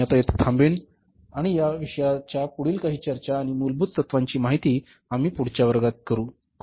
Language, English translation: Marathi, I will stop here in this class and remaining some of the further discussion and fundamentals of this subject we will discuss in the next class